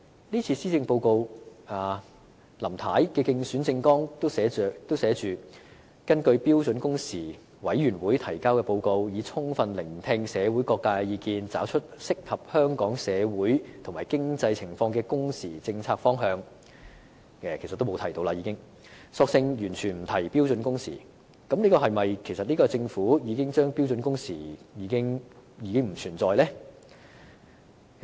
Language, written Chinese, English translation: Cantonese, 這次的施政報告，連林太在競選政綱說會根據標準工時委員會提交的報告，以及充分聆聽社會各界的意見，找出適合香港社會和經濟情況的工時政策方向的承諾，也沒有再提，更索性完全不提標準工時，這是否意味政府認為標準工時已不存在呢？, This Policy Address has made no further mention of Mrs LAMs undertaking to identify a policy direction for working hours appropriate to Hong Kongs social and economic conditions according to the report submitted by the Standard Working Hours Committee and opinions from various sectors in society and it is even completely silent on standard working hours . Does it mean that the Government considers standard working hours no longer an issue?